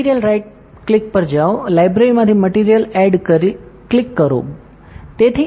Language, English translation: Gujarati, Go to the material right click, click add material from library, ok